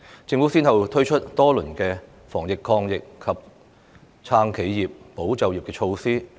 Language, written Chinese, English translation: Cantonese, 政府先後推出多輪防疫抗疫及"撐企業、保就業"措施。, The Government has rolled out many rounds of measures to counter the epidemic support enterprises and safeguard jobs